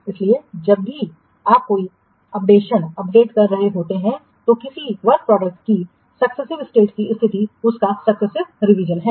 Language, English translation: Hindi, So, whenever you are making an update on updates, so the successive states of a work product, they are its successive revisions